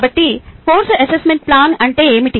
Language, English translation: Telugu, so what is course assessment plan